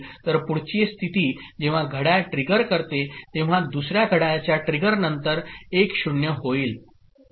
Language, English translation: Marathi, So next state when the clock trigger comes okay becomes 1 0 after 2 clock trigger